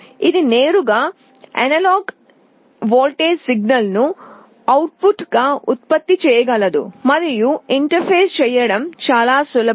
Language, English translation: Telugu, It can directly generate an analog voltage signal as output, and it is very easy to interface